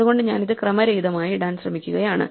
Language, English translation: Malayalam, So, I am just trying to put it in some random order